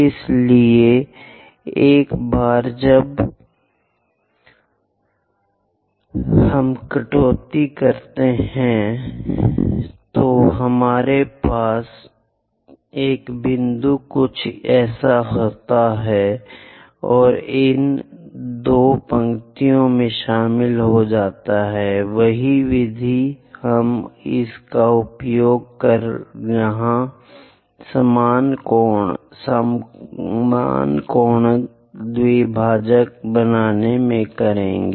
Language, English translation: Hindi, So, once we cut that, we have a point something like that and join these two lines; the same method we will use it to construct equal angle bisector here